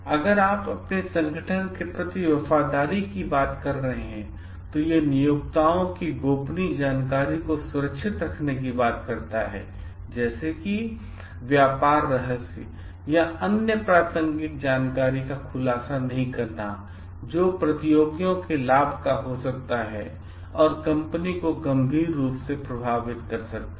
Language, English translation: Hindi, If you are talking of loyalty to your organization, then it talks of safeguarding the confidential information of the employers, not disclosing the trade secrets or other relevant information which may be of advantage to the competitors and may affect the company severely